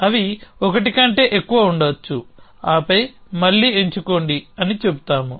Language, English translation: Telugu, They may be more than 1 and then again we say choose